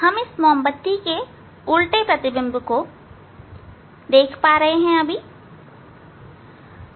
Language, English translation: Hindi, We can see the inverted image inverted image of this candle